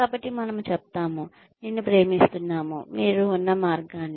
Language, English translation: Telugu, so, we say, we love you, the way you are